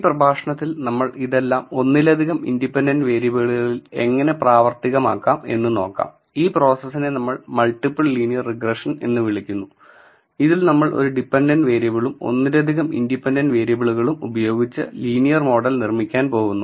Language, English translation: Malayalam, In this lecture we are going to extend all of this to multiple independent variable so, it is called multiple linear regression and in this we are going to build linear model with one dependent and multiple independent variables